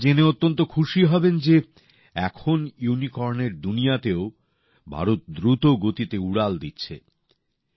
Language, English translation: Bengali, You will be very happy to know that now India is flying high even in the world of Unicorns